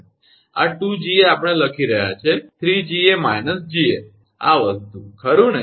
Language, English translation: Gujarati, So, this 2 Ga we are writing, 3 Ga minus Ga this thing, right